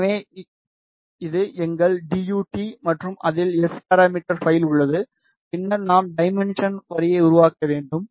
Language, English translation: Tamil, So, this is our DUT, and it contains the S parameter file then we need to make the transmission line